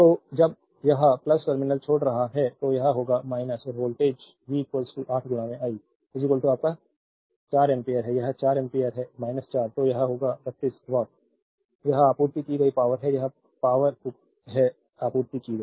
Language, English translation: Hindi, So, when it is leaving the plus terminal it will be minus and voltage is V is equal to 8 into I is equal to your 4 ampere this is the 4 ampere, minus 4 so, this will be minus 32 watt right this is the power supplied right, this is power supplied